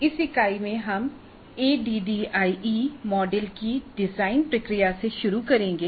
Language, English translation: Hindi, Now in this unit we will start with the design process of the ADI model